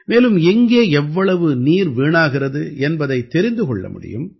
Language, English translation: Tamil, From this it will also be ascertained where and how much water is being wasted